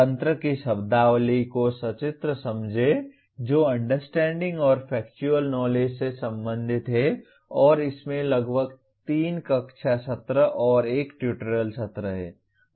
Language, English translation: Hindi, Illustrate the terminology of mechanism that is related to Understand and Factual Knowledge and there are about 3 classroom sessions and 1 tutorial session